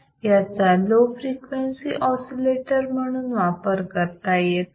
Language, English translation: Marathi, It cannot be used as lower frequency oscillator